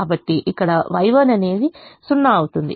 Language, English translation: Telugu, so here y one will be zero